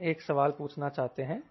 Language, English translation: Hindi, we are trying to ask a question what c